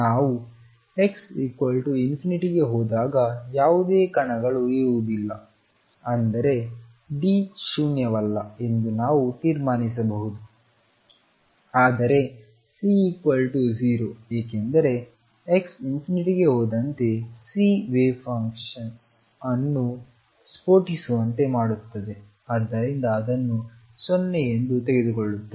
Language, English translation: Kannada, There will not be any particles when we go to x equals infinity means we can conclude that D is non 0, but C is 0 because C makes the wave function blow up as to infinity and therefore, will take it to be 0